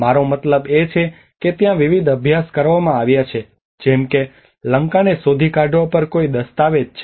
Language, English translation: Gujarati, I mean there has been various studies like there is a document on locating Lanka